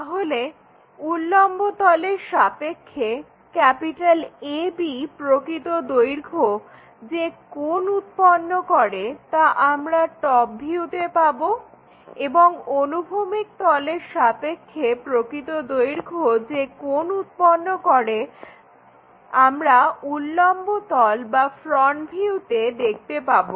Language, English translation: Bengali, So, the angle made by this true length AB with respect to the vertical plane, that we will get it in the top view and the angle made by this true length with the horizontal we will see it on that vertical plane or in the front view